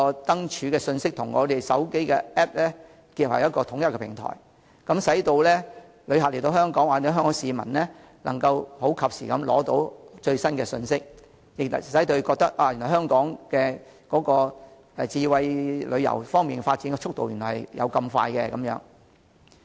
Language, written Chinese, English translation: Cantonese, 燈柱信息可與手機應用程式結合為統一平台，使到港旅客或香港市民及時取得最新信息，感受香港在智慧旅遊方面的迅速發展。, Lamppost information and mobile applications can be combined into a unified platform so that inbound visitors or Hong Kong people will obtain the latest information in a timely manner and experience the rapid development of Hong Kong in terms of smart tourism